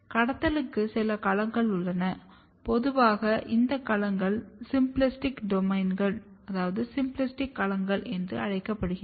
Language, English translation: Tamil, There are some domain of trafficking normally these domains are called symplastic domains